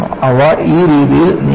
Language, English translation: Malayalam, They move in this fashion